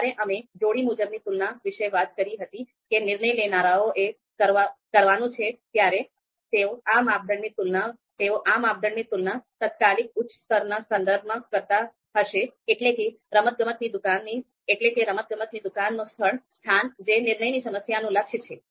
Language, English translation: Gujarati, So these criteria when we talked about pairwise comparisons you know that decision makers have to perform, so they would be comparing these criteria with respect to the immediate upper level that is location of a sports shop that is the goal of the decision problem